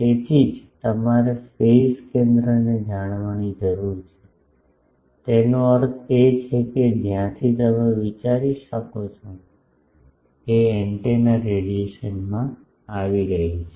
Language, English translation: Gujarati, So, that is why you need to know the phase center; that means the point from where you can think that antennas radiation is coming